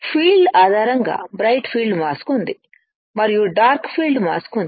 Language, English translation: Telugu, Based on the field there is a bright field mask, and there is a dark field mask